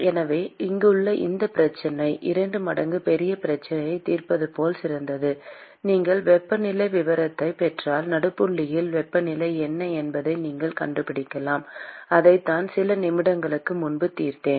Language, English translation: Tamil, So, this problem here is as good as solving a problem which is twice the size; and if you get the temperature profile, you can find out what is the temperature at the midpoint; and that is what we solved a few moments ago